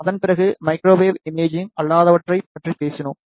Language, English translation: Tamil, Now, we would like to discuss about the microwave imaging